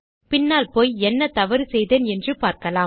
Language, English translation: Tamil, Lets go back and see what Ive done wrong